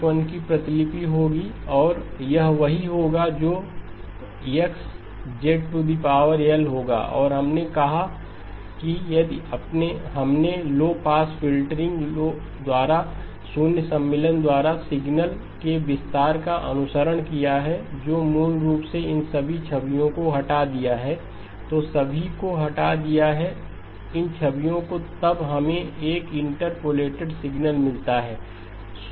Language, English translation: Hindi, This would be copy L minus 1 and that is what would be X of z power L and we said that if we followed the expansion of the signal by the zero insertion by a low pass filtering which basically removed all of these images, removed all of these images then we get a interpolated signal